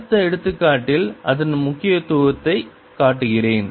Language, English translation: Tamil, in next example we show the importance of that